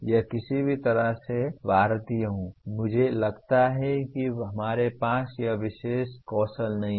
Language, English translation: Hindi, This is somehow as Indians, I find that we do not have this particular skill